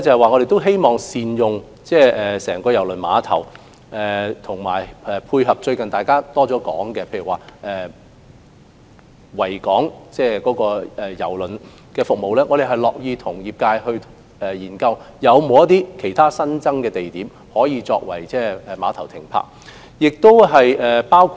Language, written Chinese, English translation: Cantonese, 我們希望善用整個郵輪碼頭，包括配合大家最近常說的維港渡輪服務，我們樂意與業界研究有否其他新增地點可以作碼頭供船隻停泊之用。, We may work along this direction in future . We hope to put the entire KTCT to good use including as part of the much - discussed proposal of providing ferry service across the Victoria Harbour . We are happy to study with the trade whether there are other locations suitable for serving as piers for berthing